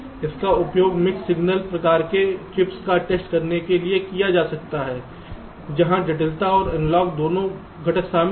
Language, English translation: Hindi, this can be used to test the mix signal kind of chips where there are both digital and analog components involved